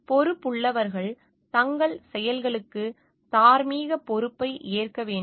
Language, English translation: Tamil, Responsible people must accept moral responsibility of their actions